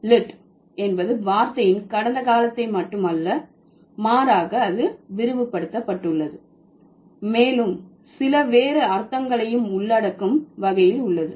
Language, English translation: Tamil, So, lit is no more just the past tense of the word, rather it has been broadened, the scope of the meaning of lit has been broadened to include quite a few other words too, like quite a few other meanings